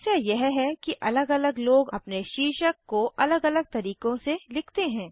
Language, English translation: Hindi, The problem is different peoples spell their titles in different way